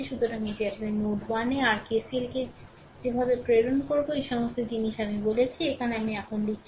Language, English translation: Bengali, So, this is actually your at node 1 you apply your KCL the way I showed you, all these things I told here I am writing now right